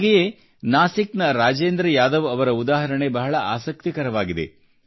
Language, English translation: Kannada, The example of Rajendra Yadav of Nasik is very interesting